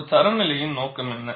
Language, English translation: Tamil, What is the purpose of a standard